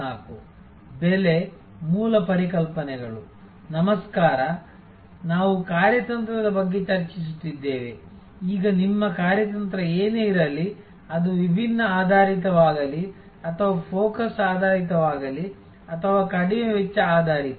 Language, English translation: Kannada, Hello, we were discussing about strategy, now whatever maybe your strategy, whether it is differentiation based or it is focus based or low cost based